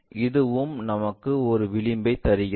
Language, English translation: Tamil, This one also it gives us an edge